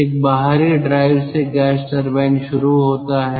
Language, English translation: Hindi, an external drive starts the gas turbine